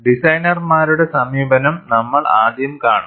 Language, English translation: Malayalam, We will see that designers' approach first